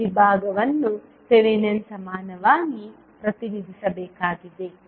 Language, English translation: Kannada, So this particular segment needs to be represented as Thevanin equivalent